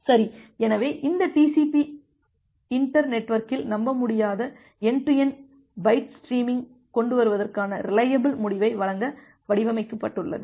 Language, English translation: Tamil, Well, so this TCP it was specifically design to provide a reliable end to end byte streaming over an unreliable inter network